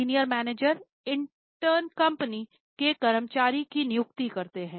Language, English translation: Hindi, Senior managers intern appoint employees of the company